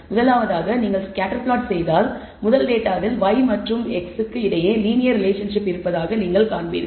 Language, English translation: Tamil, In the first one if you look at if you plot the scatter plot you will see that there seems to be linear relationship between y and x in the first data